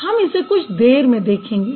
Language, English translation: Hindi, We'll see that in a while